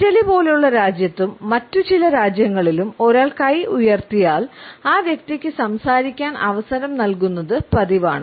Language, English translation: Malayalam, In a country like Italy as well as in certain other countries if a person raises the hand, it is customary to give the floor to that person so that he can speak